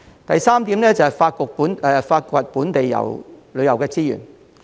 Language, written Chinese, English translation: Cantonese, 第三，是發掘本地旅遊的資源。, Third we should explore more local tourism resources